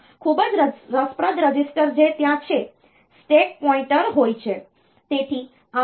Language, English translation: Gujarati, Another very interesting register that is there is the stack pointer